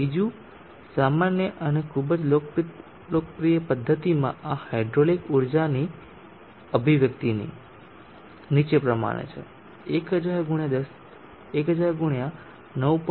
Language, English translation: Gujarati, Another common and very popular method of popular expression for expressing this hydraulic energy is as follows, 1000 x 9